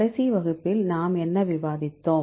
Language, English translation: Tamil, In the last class; what did we discuss